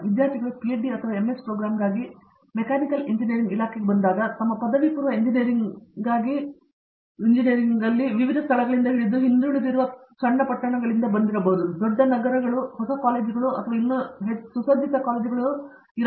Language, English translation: Kannada, So, when students come in to the Department of a Mechanical Engineering for PhD or an MS program, they do come there with you know, background from a variety of different places that they have been at for their undergraduate Engineering, which could be small towns, big cities I mean well equipped colleges, may be some are new colleges and so on